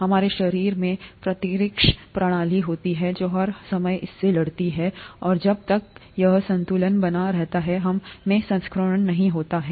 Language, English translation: Hindi, Our body has immune system which fights against this all the time, and as long as this balance is maintained, we don’t get infection